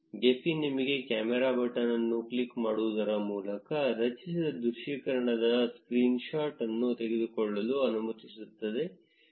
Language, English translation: Kannada, Gephi also lets you take a screen shot of the generated visualization by clicking on the camera button